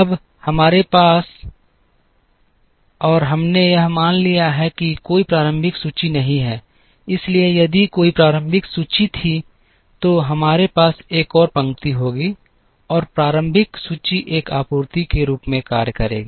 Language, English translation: Hindi, Now, we have assumed here that there is no initial inventory, so if there were an initial inventory, then we would have one more row and the initial inventory would act as a supply